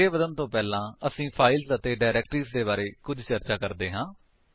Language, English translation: Punjabi, Before moving ahead let us discuss a little bit about files and directories